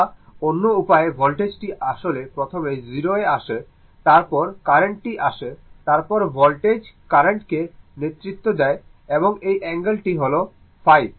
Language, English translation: Bengali, Or other way the voltage actually coming to the 0 first, then the current; that means, voltage is your what you call leading your what you call leading the current and this angle phi